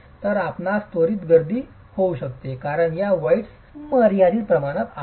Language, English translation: Marathi, So, you can have congestion quickly because these voids are limited in dimension